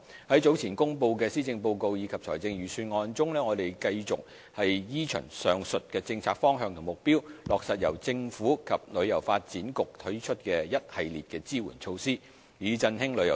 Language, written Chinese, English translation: Cantonese, 在早前公布的施政報告及財政預算案中，我們繼續依循上述政策方向及目標，落實由政府及香港旅遊發展局推出一系列的支援措施，以振興旅遊業。, As stated in the Policy Address and the Budget announced earlier we will continue to follow the above mentioned policy direction and objectives in implementing a series of supportive measures introduced by the Government and the Hong Kong Tourism Board HKTB to boost tourism